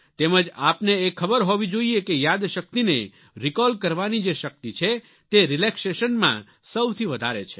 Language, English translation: Gujarati, And you must know that the power of memory to recall is greatest when we are relaxed